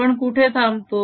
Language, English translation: Marathi, where do we stop